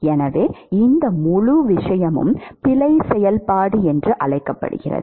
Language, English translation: Tamil, It is called error function